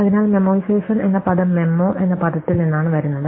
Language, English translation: Malayalam, So, this term memoization comes from the word memo with some of few may occur